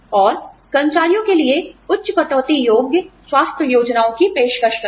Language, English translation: Hindi, And, offer high deductible health plans, for employees